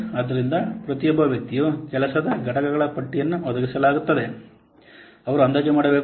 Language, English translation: Kannada, So, each person will provide a list of the work components they have to be estimate